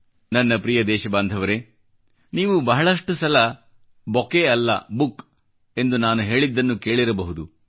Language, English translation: Kannada, My dear countrymen, you may often have heard me say "No bouquet, just a book"